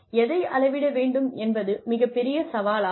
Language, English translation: Tamil, What to measure, is a big challenge